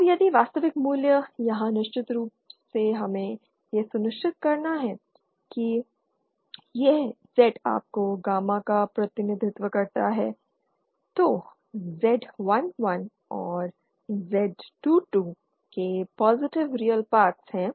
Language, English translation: Hindi, Now if the real values here of course we have to ensure that the this Z say your if gamma represents said then Z11 and Z22 have positive real parts